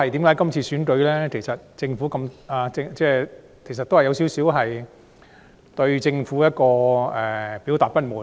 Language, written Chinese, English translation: Cantonese, 今次的選舉其實某程度上是表達對政府的不滿。, To some degree the elections this time around have actually reflected dissatisfaction with the Government